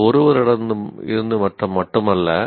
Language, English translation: Tamil, It need not be only from one